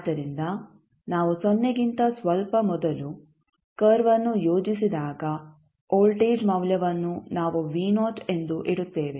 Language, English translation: Kannada, So, when we plot the curve for t less than just before 0 we will keep the value of voltage as v naught